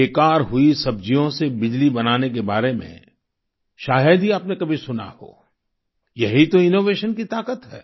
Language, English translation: Hindi, You may have hardly heard of generating electricity from waste vegetables this is the power of innovation